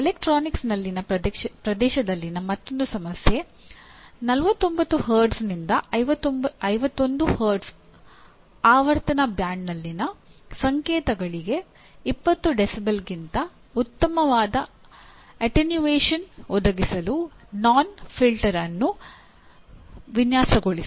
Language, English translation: Kannada, Yet another problem in the area in electronics: Design a notch filter to provide attenuation better than 20 dB to signals in the frequency band of 49 Hz to 51 Hz